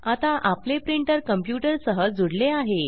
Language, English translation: Marathi, Now, our printer is connected to the computer